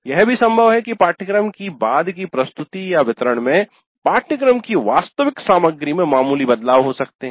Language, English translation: Hindi, And it is also possible that in a subsequent delivery there could be minor variations in the actual content of the course